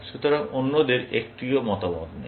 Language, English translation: Bengali, So, others, do not have an opinion